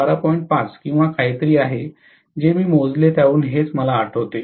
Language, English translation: Marathi, 5 or something, that is what I remember from what I calculated